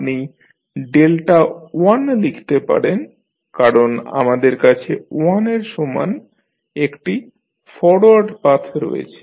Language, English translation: Bengali, You can write delta 1 because we have only one forward path equal to 1